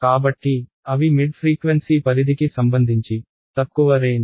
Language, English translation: Telugu, So, they are short range relative to at least the mid frequency range